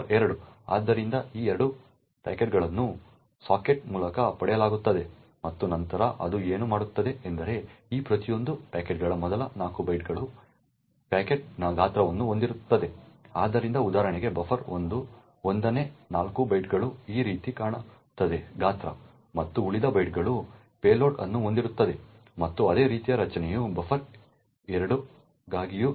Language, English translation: Kannada, So, these 2 packets are obtained through sockets and then what it does is that it assumes that first 4 bytes of each of these packets contains the size of the packet so for example buffer 1 would look something like this way the 1st 4 bytes would have the size and the remaining bytes would have the payload and similar structure is present for buffer 2 as well